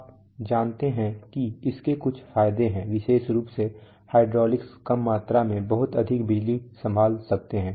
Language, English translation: Hindi, You know there are certain advantages especially hydraulics can handle a lot of power in a small volume